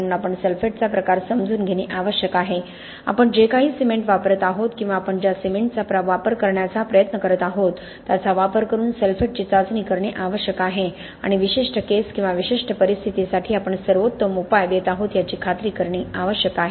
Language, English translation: Marathi, So we need to understand the kind of sulphate that is present, test for the sulphates by using whatever cement we are or combination of the cement we are trying to use and ensure we are providing the best solution for the particular case or particular scenario